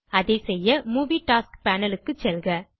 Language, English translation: Tamil, To do that, go to the Movie Tasks Panel